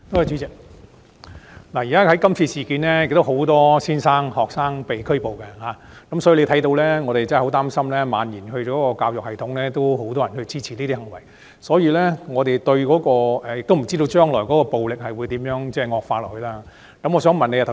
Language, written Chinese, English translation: Cantonese, 主席，今次事件中有很多老師和學生被拘捕，所以我們很擔心情況會蔓延至教育系統，而鑒於這些行為有很多人支持，我們亦不知道暴力情況將來會惡化到甚麼程度。, President a lot of teachers and students were arrested in the present incident . So we are concerned that the situation will spread across the education system and given that there is much public support for these acts we are not sure to what extent the violence will escalate